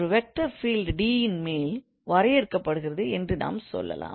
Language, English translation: Tamil, So this defines a vector field on the given domain actually